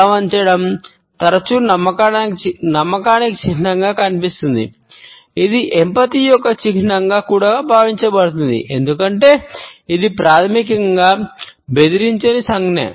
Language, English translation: Telugu, Tilting the head is often seen as a sign of trust, it is also perceived as a sign of empathy, as it is basically a non threatening gesture